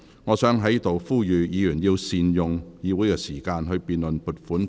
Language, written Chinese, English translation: Cantonese, 我想在此呼籲議員要善用議會時間，審議撥款條例草案。, I would like to appeal to Members to make the best use of the meeting time of this Council for the deliberations on the Appropriation Bill